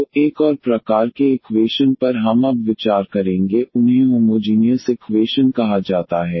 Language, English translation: Hindi, So, another type of equations we will consider now these are called the homogeneous equations